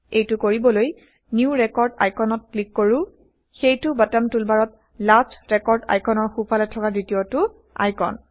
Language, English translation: Assamese, To do this, click on the New Record icon, that is second right of the Last record icon in the bottom toolbar